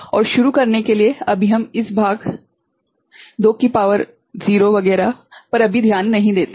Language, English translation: Hindi, And to begin with, let us not bother about this part ok, 2 to the power 0 etcetera